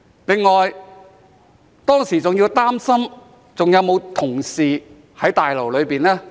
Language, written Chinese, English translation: Cantonese, 此外，我當時還要擔心有沒有同事在大樓內呢？, In addition I was worried about whether there were any colleagues in the Complex at that time